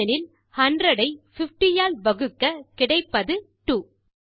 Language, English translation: Tamil, That is because 100 divided by 50 gives 2